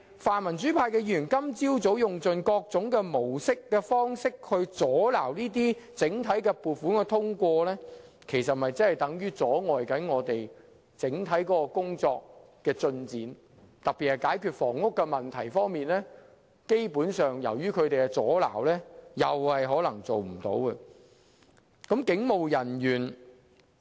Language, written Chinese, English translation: Cantonese, 泛民主派的議員今天早上用盡各種方法阻撓撥款的通過，其實等於阻礙整體工作的進展，其中特別是房屋問題，基本上也是由於他們的阻撓，以致很多工作均無法成事。, The pan - democratic Members have tried by various means to obstruct the approval of the funding applications which in a way has stalled the progress of the overall work process . In particular owing to the pan - democratic Members obstruction a lot of the work planned for solving the housing problem cannot be carried out